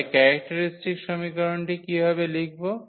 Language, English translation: Bengali, So, how to write the characteristic equation